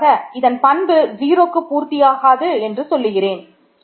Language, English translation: Tamil, And final remark I will make is this is not true in characteristic 0